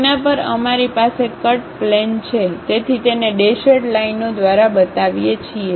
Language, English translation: Gujarati, On that we have a cut plane, so we show it by dashed lines